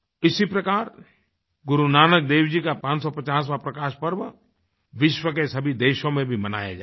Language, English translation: Hindi, Guru Nanak Dev Ji's 550th Prakash Parv will be celebrated in a similar manner in all the countries of the world as well